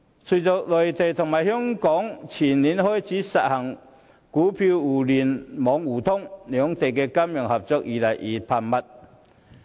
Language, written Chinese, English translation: Cantonese, 隨着內地與香港前年開始實行股票互聯互通，兩地的金融合作越趨頻繁。, Following the introduction of Stock Connect between the Mainland and Hong Kong in 2015 the two places have increasingly frequent financial cooperation